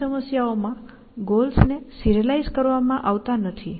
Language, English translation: Gujarati, That in many problems, goals are not serialized with